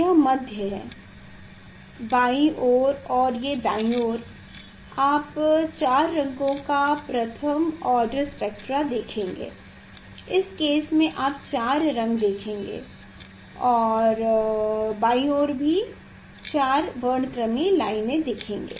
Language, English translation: Hindi, left side side this side you will see the first order spectra of four colors in this case you will see a four colors and left side also you will see the four spectral lines